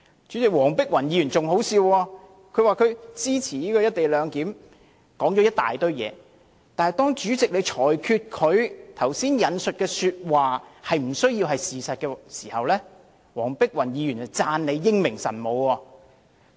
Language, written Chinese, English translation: Cantonese, 主席，黃碧雲議員更可笑，她說了一堆話，說自己支持"一地兩檢"中止待續的議案，但當主席裁決她剛才引述的話不需要是事實時，黃碧雲議員便讚主席英明神武。, President Dr Helena WONG was even more ridiculous . She talked on and on saying that she supported this motion of adjourning the debate on the co - location arrangement . But then when the President ruled that what she said of other Members did not need to be true she praised him for his wise and decisive judgment